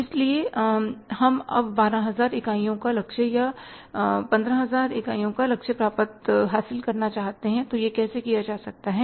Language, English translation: Hindi, So, we want to now achieve 12,000 units target or 15,000 units target so how that can be done